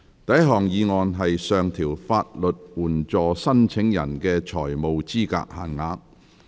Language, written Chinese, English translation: Cantonese, 第一項議案：上調法律援助申請人的財務資格限額。, First motion To increase the financial eligibility limits of legal aid applicants